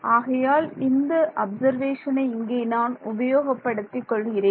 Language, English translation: Tamil, So, I want to utilize this observation that I have over here